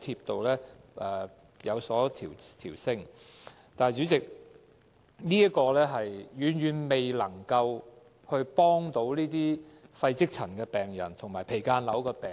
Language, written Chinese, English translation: Cantonese, 但是，這個調升遠遠未能幫助肺積塵病人和間皮瘤病人。, However the increase is far from adequate to assist pneumoconiosis andor mesothelioma patients